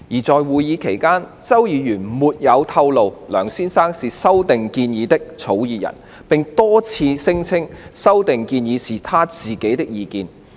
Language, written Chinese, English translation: Cantonese, 在會議期間，周議員沒有透露梁先生是修訂建議的草擬人，並多次聲稱修訂建議是他自己的意見。, During the meeting Mr CHOW never disclosed that Mr LEUNG was the author of the proposed amendments and repeatedly claimed that those amendments were his own opinions